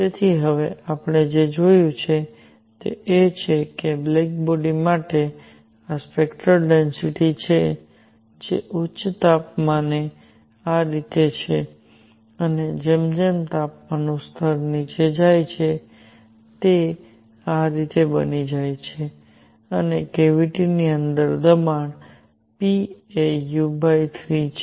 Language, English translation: Gujarati, So, what we have seen now is that for a black body, this is spectral density which at high temperature is like this and as temperature level goes down; it becomes like this and pressure inside the cavity p is u by 3